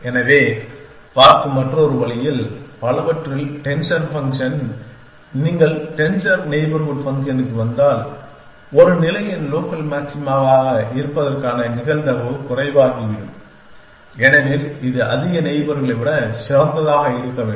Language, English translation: Tamil, So, in another way of looking at it is that denser function in many if you to the denser neighborhood function then probability of the likely hood of a state being as local maxima becomes lesser because it has to be a better than more neighbors